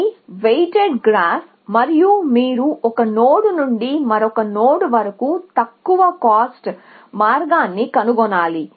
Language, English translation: Telugu, It is a weighted graph and you have to find the least cost path from one node to another nod